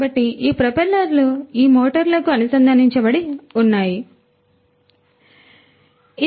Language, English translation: Telugu, So, these propellers are connected to these motors, this is a motor